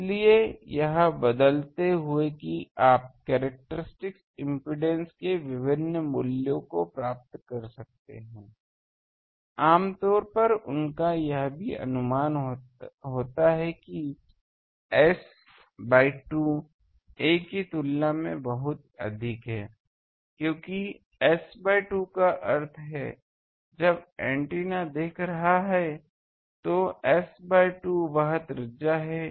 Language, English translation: Hindi, So, by changing that you can get different values of characteristics impedance and generally they also has an approximation that S by 2 is much greater than ‘a’ because S by 2 means when the antenna is seeing, S by 2 is it is you can say that radius